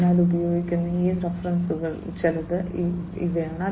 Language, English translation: Malayalam, So, these are some of these references that are used